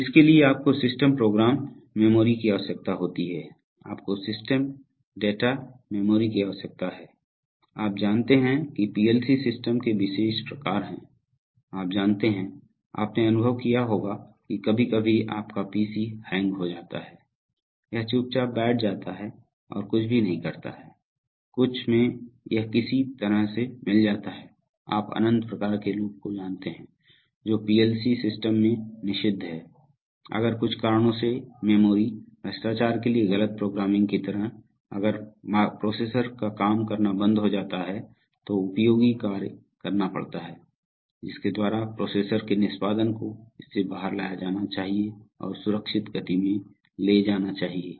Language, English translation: Hindi, So for that you need systems program memory, you need systems data memory, you have, you know special kinds of PLC systems are, you know just like your, you must have experienced that sometimes your PC hangs, it just sits quite doing nothing, somehow it gets mired in to some, you know infinite kind of loop, so this is prohibited in PLC systems if due to some reasons like wrong programming to memory corruption, if the processor gets is stops doing useful work then there has to be explicit mechanisms by which the processor execution must be brought out of it and taken into a safe speed